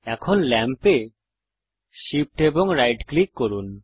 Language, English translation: Bengali, Now Shift plus right click the lamp